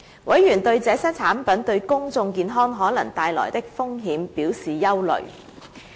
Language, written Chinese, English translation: Cantonese, 委員對這些產品對公眾健康可能帶來的風險表示憂慮。, Members expressed concern about the risks that these products may pose to public health